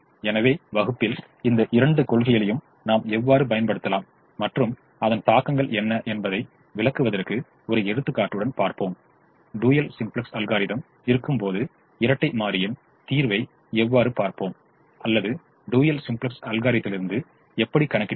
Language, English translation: Tamil, so in the class we will take an example to explain how we can use both these principles and what are the implications and how do we look at the dual solution when we have the dual simplex algorithm or from the dual simplex algorithm